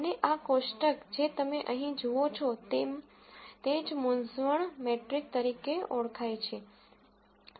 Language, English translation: Gujarati, And this table that you see right here is what is called as the confusion matrix